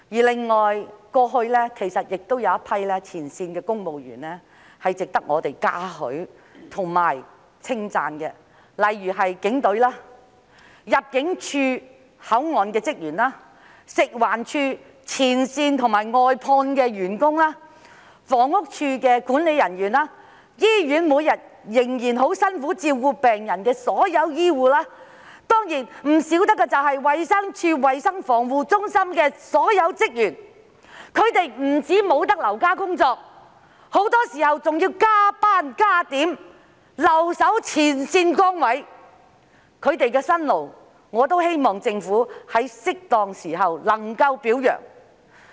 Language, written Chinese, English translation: Cantonese, 另外，過去亦有一群前線公務員值得我們嘉許和稱讚，例如警隊、負責口岸的入境事務處職員、食環署的前線和外判員工、房屋署的管理人員、在醫院每天仍然辛苦照顧病人的所有醫護人員，當然少不得的就是衞生署衞生防護中心的所有職員，他們不止未能留家工作，很多時候還要超時工作、加點，留守前線崗位，我希望政府在適當時候也能表揚他們的辛勞。, Furthermore there is a group of frontline civil servants who deserve our commendation and praise such as the Police Force staff of the Immigration Department working at control points frontline and outsourced staff of the Food and Environmental Hygiene Department management staff of the Housing Department and all healthcare workers working hard in hospitals to take care of patients every day . Of course all the staff of the Centre of Health Protection of the Department of Health are indispensable . Not only are they unable to work from home they often have to work overtime or extra hours to stand fast at their frontline posts